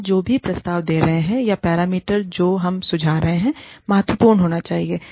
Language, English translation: Hindi, Whatever, we are proposing, or the parameters, that we are suggesting, need to be important